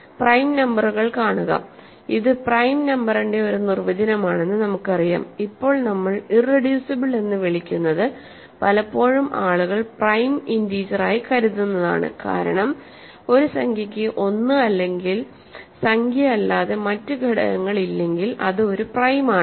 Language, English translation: Malayalam, See prime numbers of course, we know it is a one definition of prime number is that what we are now calling irreducible is often what people think of as prime integer because a number an integer is prime if it has no factors other than one and that integer, but one and that integer in our notation are not proper divisors